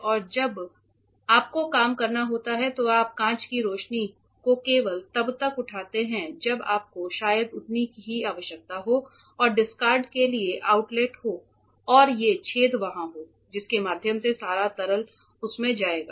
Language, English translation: Hindi, So, now, when you have to work you lift the glass light only up to when how much you require maybe around this much and there are outlets for the discard and these holes are there through which all the liquid will go in that is the overall operation